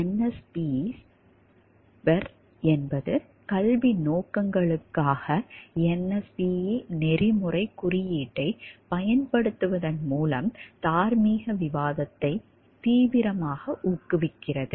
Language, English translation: Tamil, A case in point is NSPEs BER which actively promotes moral discussion by applying the NSPE code of ethics to cases for educational purposes